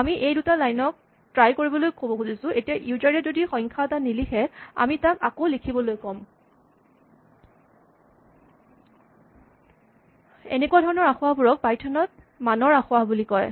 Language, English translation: Assamese, So, what we want to say is, we will try these lines, but if the user types something which is not a number, then, we are going to ask him to type it again and it will turn out that, that type of error in python is called a value error